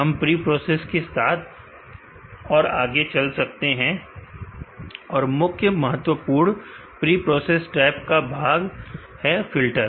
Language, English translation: Hindi, Let us go on to preprocess and the most important part of the preprocess tab is a filter